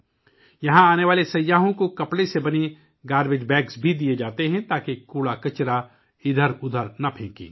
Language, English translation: Urdu, Garbage bags made of cloth are also given to the tourists coming here so that the garbage is not strewn around